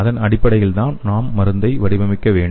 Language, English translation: Tamil, Based on that we have to design the drug